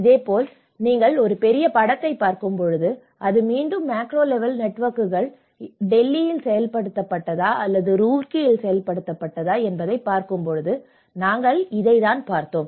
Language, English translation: Tamil, So, similarly when you are looking at a larger picture that is again the macro level networks whether it has been implemented in Delhi, whether implemented in Roorkee you know so this is how we looked at it